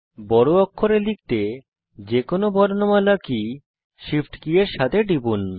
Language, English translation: Bengali, Press the shift key together with any other alphabet key to type capital letters